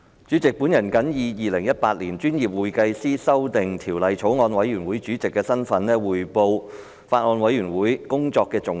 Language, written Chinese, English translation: Cantonese, 主席，我謹以《2018年專業會計師條例草案》委員會主席的身份，匯報法案委員會工作的重點。, President in my capacity as Chairman of the Bills Committee on Professional Accountants Amendment Bill 2018 I would like to report on the major deliberations of the Bills Committee